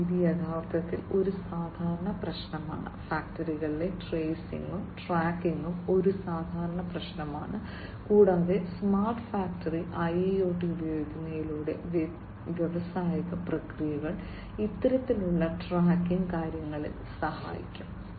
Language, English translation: Malayalam, And this is a common problem actually, you know tracing and tracking is a common problem in factories, and through the use of smart factory IIoT for smart factory the industrial processes will help in this kind of tracking affairs